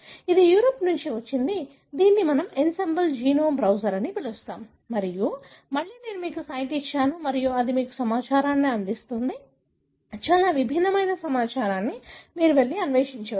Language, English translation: Telugu, This is from Europe, which we call “Ensembl” genome browser and again I have given you the site and again it gives you information, very different kind of information, you can go and explore